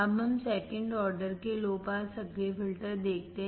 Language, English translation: Hindi, Now, let us see second order low pass active filter